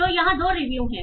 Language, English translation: Hindi, So here are two reviews